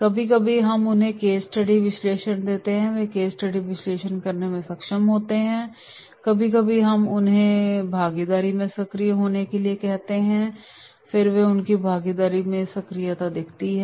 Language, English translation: Hindi, Sometimes we give them the case study analysis and they are able to do the case study analysis, sometimes we are asking them to be active in their participation and they are active in their participation